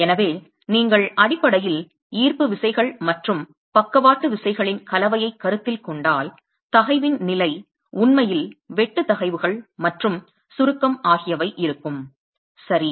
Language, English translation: Tamil, So, if you're basically considering a combination of gravity forces and lateral forces, the state of stress is actually going to be that of shear stresses and compression